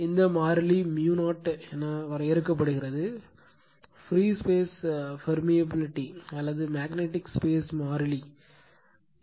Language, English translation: Tamil, And this constant is defined as mu 0, so the permeability of free space or the magnetic space constant right, it is called permeability of free space or the magnetic space constant